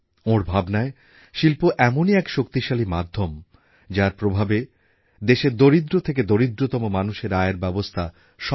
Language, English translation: Bengali, According to him the industry was an effective medium by which jobs could be made available to the poorest of the poor and the poorer